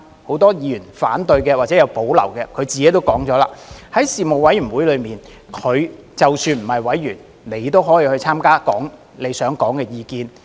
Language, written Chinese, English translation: Cantonese, 很多反對或有保留的議員自己也說了，即使不是委員也可以參加事務委員會的會議，說出他想說的意見。, Many of those Members who oppose or have reservations on the amendment have said themselves that they can still attend a Panel meeting and put forth their views even if they are not its members